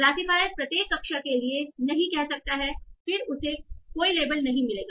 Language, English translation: Hindi, The classifier might say no for each of the classes then it will not get any label